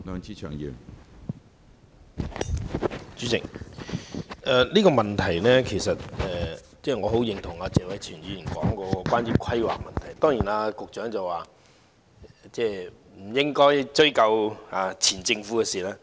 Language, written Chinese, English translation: Cantonese, 主席，我十分認同謝偉銓議員所說有關規劃的問題，而當然，局長認為不應該追究前政府的事情。, President I cannot agree more with Mr Tony TSEs view concerning the planning issue and of course the Secretary thinks that we should not pursue the previous Government over this matter